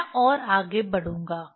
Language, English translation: Hindi, I will proceed more